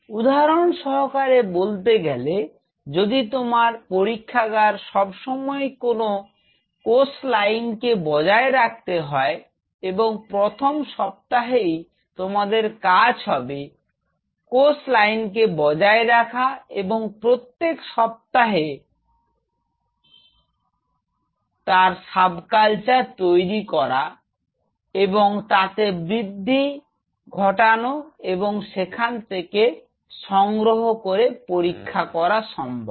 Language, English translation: Bengali, say for example, your lab regularly maintains a particular cell line I have already talked about cell line right at the first week and you just your job on these to maintain the cell line and you just passage them every week after week, subculture them and grow them in and then you just take them and do your experiment